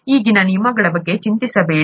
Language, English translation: Kannada, Do not worry about the terms as of now